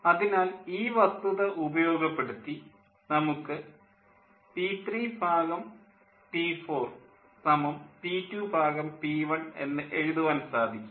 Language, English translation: Malayalam, so exploiting this fact, one can write: p three by p four is equal to p two by p one